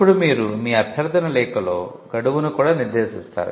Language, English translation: Telugu, Now you would in your request letter, you would also stipulate a deadline